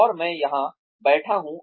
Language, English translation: Hindi, And, I am sitting here